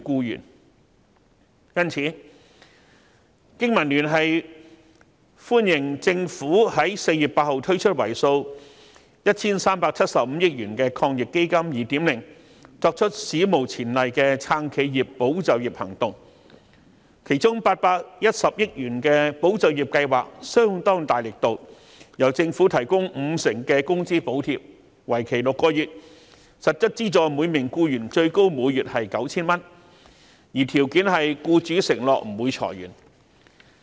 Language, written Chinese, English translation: Cantonese, 因此，經民聯歡迎政府在4月8日推出為數 1,375 億元的抗疫基金 2.0， 作出史無前例的撐企業、保就業行動，其中810億元的保就業計劃力度相當大，由政府提供五成的工資補貼，為期6個月，向每名僱員提供最高每月為 9,000 元的實質資助，條件是僱主承諾不會裁員。, BPA therefore welcomes the second round of the 137.5 billion AEF introduced on 8 April to implement an unprecedented package of initiatives to support enterprises and safeguard jobs . One of the initiatives is the 81 billion Employment Support Scheme to offer 50 % wage subsidies up to 9,000 per employee for six months on the condition that employers will not lay off staff